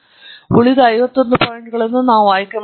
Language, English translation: Kannada, We will just choose the remaining fifty one points